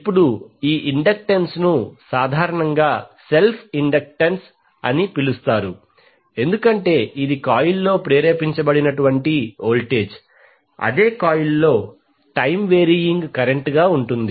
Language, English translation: Telugu, Now this inductance is commonly called as self inductance because it relate the voltage induced in a coil by time varying current in the same coil